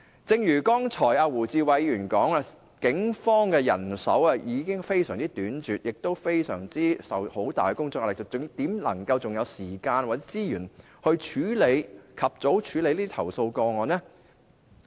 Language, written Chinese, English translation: Cantonese, 正如胡志偉議員剛才所說，警方的人手已經非常短拙，亦承受很大的工作壓力，還怎會有時間或資源及早處理投訴個案呢？, As Mr WU Chi - wai pointed out just now the manpower of the Police is already very tight and under tremendous work pressure . How can the Police have the time or resources to deal with complaint cases at an early stage?